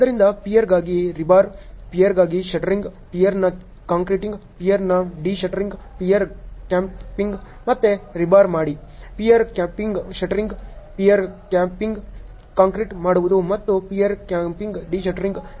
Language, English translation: Kannada, So, rebar for pier, shuttering for pier, concreting of pier, de shuttering of the pier ok; again rebar for pier cap, shuttering for pier cap, concreting for pier cap and de shuttering for the pier cap ok